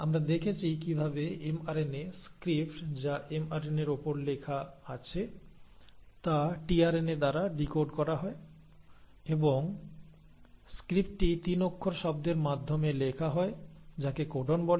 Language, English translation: Bengali, We saw how mRNA, the script which is written on mRNA is decoded by the tRNA and the script is written into 3 letter words which are called as the codons